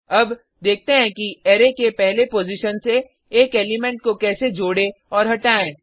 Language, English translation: Hindi, Now, let us see how to add/remove an element from the 1st position of an Array